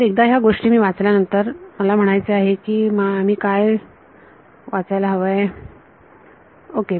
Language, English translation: Marathi, So, once I read in these things I mean what would I read in to